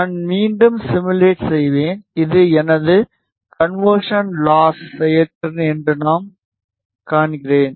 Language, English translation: Tamil, And I simulate again, I see that this is my conversion last performance